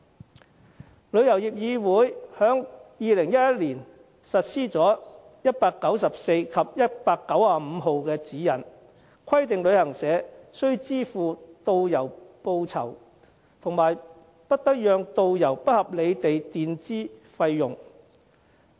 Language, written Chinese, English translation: Cantonese, 香港旅遊業議會在2011年實施第194號及第195號指引，規定旅行社必須支付導遊報酬，以及不得讓導遊不合理地墊支費用。, In 2011 the Travel Industry Council of Hong Kong TIC implemented Directives No . 194 and 195 requiring travel agencies to make payment remunerations to tour guides and prohibiting them from requiring tour guides to unreasonably advance any payments